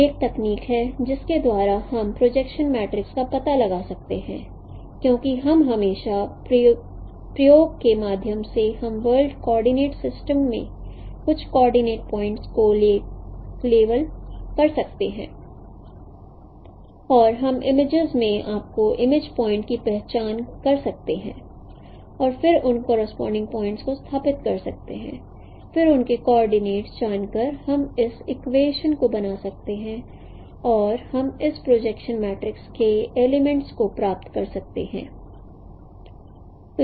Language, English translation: Hindi, So this is one technique by which we can know, we can find out the projection matrix because we can always through experimentation we can level some of the coordinate points in the world coordinate system, some of the points and we can identify their image points in your in the images and that establishes those point correspondences then by knowing their coordinates we can form these equations and then we can derive these elements of this projection matrix